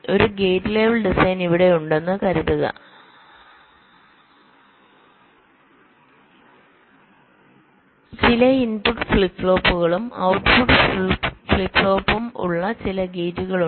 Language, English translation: Malayalam, so here, suppose i have a gate level design like this: some gates with some input flip flops and output flip flop